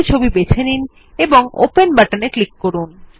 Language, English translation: Bengali, Choose a picture and click on the Open button